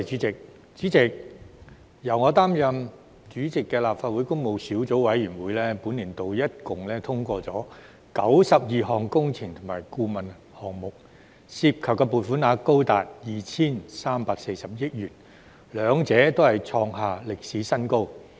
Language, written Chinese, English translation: Cantonese, 主席，由我擔任主席的立法會工務小組委員會，本年度合共通過92項工程及顧問項目，涉及撥款額高達 2,340 億元，兩者均創下歷史新高。, President the Public Works Subcommittee of the Legislative Council which I chaired has awarded a total of 92 engineering and consultant project contracts and the total expenditure involved is up to 234 billion with both hitting a record high